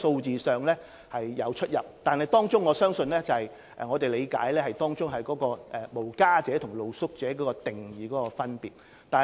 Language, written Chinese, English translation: Cantonese, 這些統計與當局的數字有出入，據我理解是因為"無家者"和"露宿者"在定義上有分別。, The number indicated in such statistics is different from the statistics compiled by the Government because as far as I understand there are differences in the definition of homeless people and street sleepers